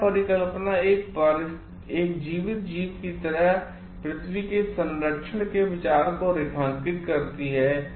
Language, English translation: Hindi, The Gaia hypothesis postulates the idea of preserving earth like a living organism